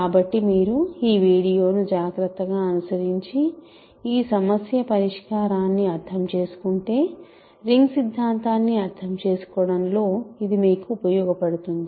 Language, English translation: Telugu, So, if you carefully follow this video and understand this problem solution, it will be useful to you in understanding ring theory